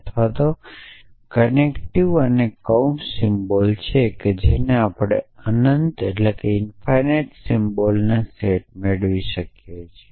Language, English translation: Gujarati, So, the or the connective essentially and the bracket symbols and so we can get in infinite set of symbol essentially